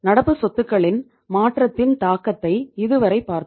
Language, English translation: Tamil, Till now we have seen the impact of change in the current assets